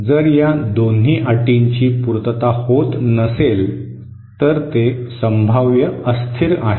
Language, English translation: Marathi, If both these 2 conditions are not satisfied, then it is potentially unstable